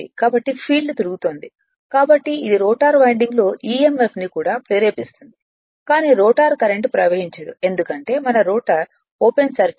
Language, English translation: Telugu, So, field is rotating so it will also induce your what you call emf in the rotor winding, but no rotor current can flow because we are assume the [roton/rotor] rotor is open circuited right